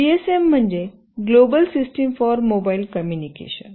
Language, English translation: Marathi, GSM stands for Global System for Mobile Communication